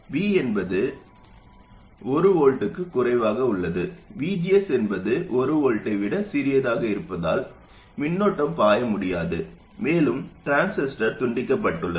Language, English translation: Tamil, So it's pretty obvious that if this voltage V is less than one volt, no current can flow because VGS is smaller than 1 volt and the transistor is cut off